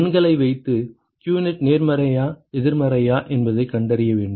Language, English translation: Tamil, You have to put the numbers and find out whether qnet is positive or negative